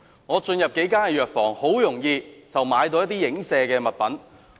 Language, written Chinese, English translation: Cantonese, 我進入數間藥房，很容易便買到一些影射產品。, I entered several pharmacies and could easily purchase some alluded products